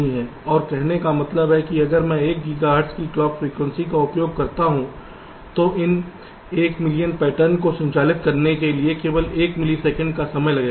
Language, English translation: Hindi, right, and say: means, if i use a clock frequency of one gigahertz, then this one million pattern will take only one millisecond of time to have to operate right